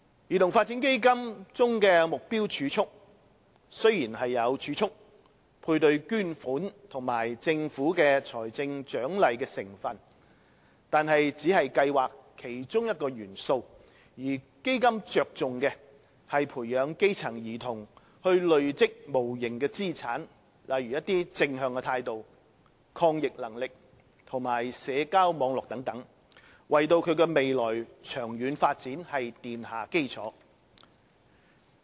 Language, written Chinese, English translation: Cantonese, 兒童發展基金中的"目標儲蓄"雖然有儲蓄、配對捐款及政府財政獎勵的成分，但只是計劃的其中一個元素，基金着重的是培養基層兒童累積無形資產，例如正向態度，抗逆能力及社交網絡等，為其未來長遠發展奠下基礎。, Despite that the Targeted Savings in CDF comprises savings matching contribution and a financial incentive provided by the Government it is only a component of CDF which attaches importance to encouraging grass - roots children to accumulate intangible assets such as positive attitudes resilience social networks and so on with a view to laying a foundation for their long - term development